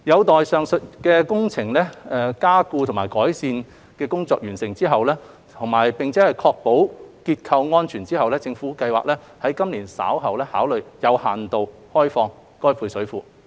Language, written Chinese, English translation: Cantonese, 待完成上述所需的加固及改善工程，並確保結構安全後，政府計劃於今年稍後考慮有限度開放配水庫。, After completing the above strengthening and improvement works and ensuring the structural safety of the service reservoir the Government targets to allow restricted opening of the service reservoir within this year